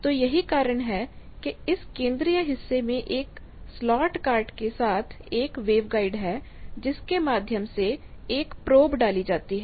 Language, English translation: Hindi, So, that is why there is a wave guide with a slot cart at the central portion of that through which a probe is inserted